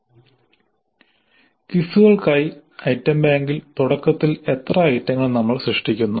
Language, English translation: Malayalam, Now how many items do we create initially in the item bank for quizzes